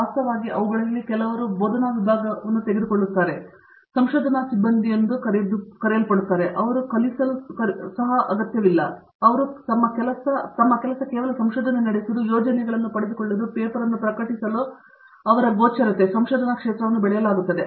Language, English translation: Kannada, In fact, some of them are taking up faculty, who are being called as research faculty, they donÕt need to even teach, they simply their job is to keep on doing research, get projects, to publish paper so that their visibility in the research arena is grown